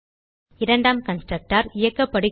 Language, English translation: Tamil, So the second constructor gets executed